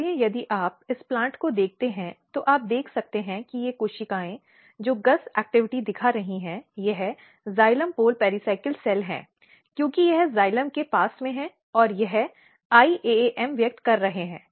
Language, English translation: Hindi, So, you can see that these cells which is showing basically GUS activity it is xylem pole pericycle cell, because it is next to the xylem and it has this iaaM expressing iaaM